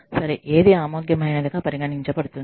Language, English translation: Telugu, What is considered okay, acceptable